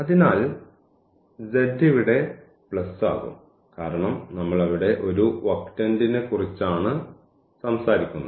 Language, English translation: Malayalam, So, z will be plus here because we are talking about just one octane there